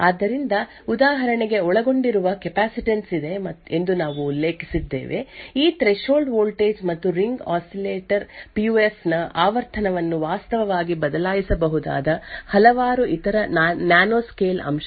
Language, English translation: Kannada, So for example, we mentioned that there is capacitance that is involved; there is that threshold voltage and various other nanoscale aspects that could actually change the frequency of the Ring Oscillator PUF